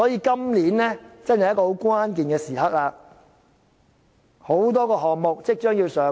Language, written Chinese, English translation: Cantonese, 今年是關鍵時刻，因為很多項目即將上馬。, This year is very critical as many works projects will be commissioned very soon